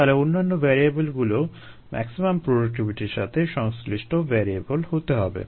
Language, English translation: Bengali, so all the other variables should also correspond to the maximum productivity variables